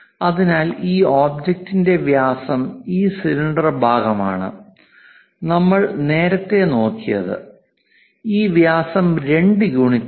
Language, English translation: Malayalam, So, the diameter for this object this cylindrical part what we have looked at earlier, this one this diameter is 2 units